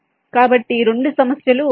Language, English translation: Telugu, so these two problems are the same